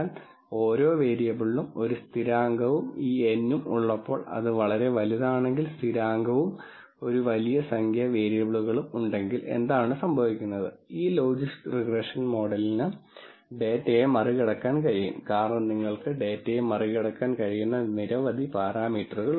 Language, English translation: Malayalam, So, 1 constant for each variable and the constant if this n becomes very large when there are large number of variables that are present then, what happens is this logistic regression models can over t because there are so many parameters that you could tend to over t the data